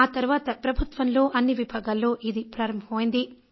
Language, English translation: Telugu, After that all government departments started discussing it